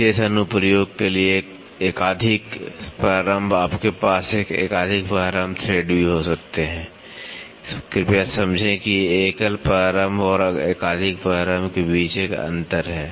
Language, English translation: Hindi, Multiple start for special application you can also have multiple start thread please understand there is a difference between single start and multiple starts